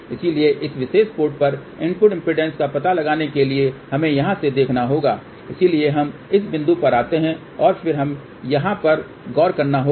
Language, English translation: Hindi, So, to find the input impedance at this particular port we have to look from here, so then we come at this point and then we have to look at this here